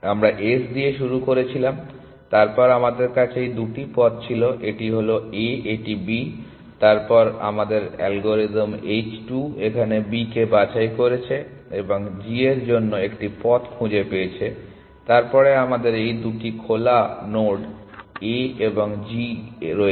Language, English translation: Bengali, We started with S, then we had this two paths, this is A, this is B, then our algorithm h 2 has pick B and found a path to g, then we have this two node on open A and G